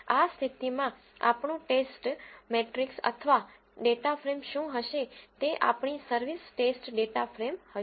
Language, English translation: Gujarati, In this case, what will be our test matrix or a data frame this will be our service test data frame